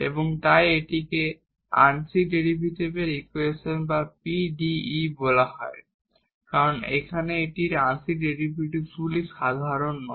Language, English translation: Bengali, And therefore, this is called the partial differential equation or PDE, because here we the partial derivatives not the ordinary, but we have the partial derivatives, now in the equation